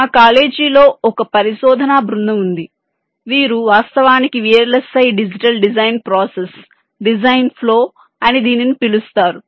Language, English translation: Telugu, ah, i means there is a research group in our college who actually carry out the v l s i digital design process, design flow